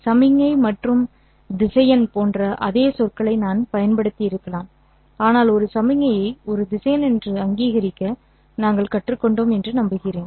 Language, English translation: Tamil, I might have used the same word as signal and a vector but I hope by now that we have learned to recognize the signal as a vector